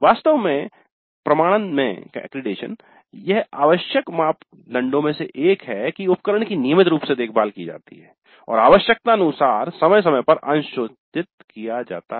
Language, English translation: Hindi, In fact in the accreditation this is one of the essential criteria that the equipment is regularly serviced and calibrated periodically as required